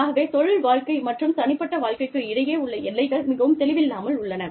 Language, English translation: Tamil, So, the boundaries between professional and personal lives, are very blurred here